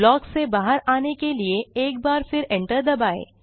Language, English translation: Hindi, To get out of the block, hit enter once again